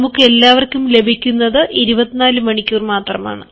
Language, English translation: Malayalam, all of us have got only twenty four hours, but we have